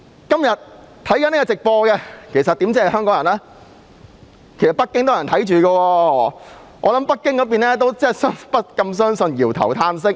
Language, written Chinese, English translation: Cantonese, 今天正收看直播的不單香港人，還有北京的人，我想北京方面也不敢相信，搖頭嘆息。, Today those who watch the live broadcast include not only Hong Kong people but also people in Beijing . I think that people in Beijing must have also shaken their heads and sighed in disbelief